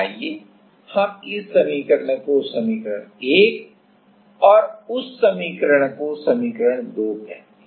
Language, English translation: Hindi, Let us call this equation, let us call this equation as equation 1 and this equation 2